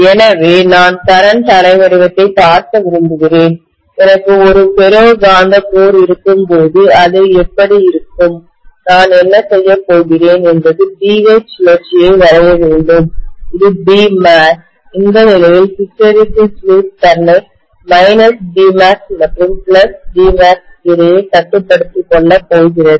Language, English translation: Tamil, So if I want to look at the current waveform, how it is going to be when I have a ferromagnetic core, what I am going to do is to draw the BH loop corresponding to, so this is my B max and probably this is, okay I have not drawn uniformly but this is how I am going to have my hysteresis loop confining itself to plus B max and minus B max in this case